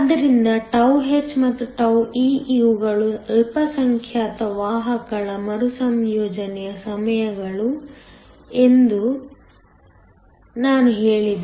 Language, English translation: Kannada, So τh and τe, I said these were the minority carrier recombination times